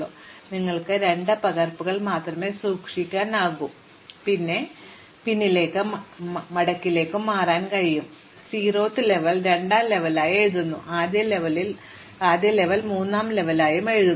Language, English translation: Malayalam, So, in some sense, you can keep only 2 copies and keep switching back and fold, you over write the zeroth level as second level, you over write the first level as third level and so on